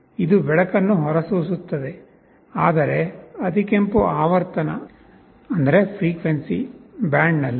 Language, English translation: Kannada, It emits a light, but in the infrared frequency band